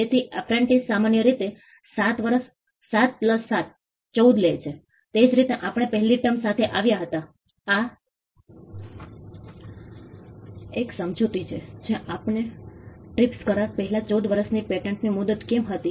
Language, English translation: Gujarati, So, apprentice normally takes 7 years 7+7 14, that is how we came with the first term this is 1 explanation given as to why we had a 14 year patent term before the TRIPS agreement